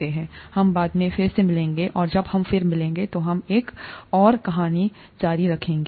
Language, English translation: Hindi, Let us meet again later and when we meet again, we will continue with another story